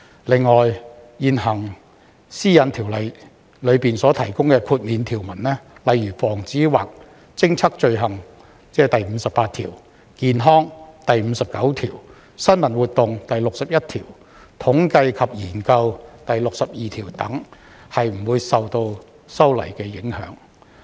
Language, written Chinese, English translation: Cantonese, 此外，現行《個人資料條例》中所提供的豁免條文，例如防止或偵測罪行、健康、新聞活動、統計及研究等，均不會受修例影響。, In addition the immunity provisions provided in the existing Personal Data Privacy Ordinance such as the prevention or detection of crime section 58 health section 59 news activities section 61 statistics and research section 62 etc will not be affected by the amendment